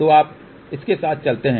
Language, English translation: Hindi, So, you move along this